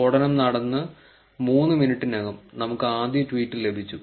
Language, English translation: Malayalam, More than 3 minutes of the blast happening, we got our first tweet